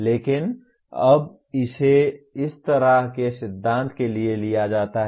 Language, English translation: Hindi, But now it is taken for granted this kind of principle